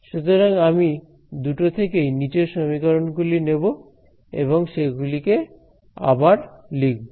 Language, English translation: Bengali, So, I am going to take the bottom equation from each of these sets and just rewrite them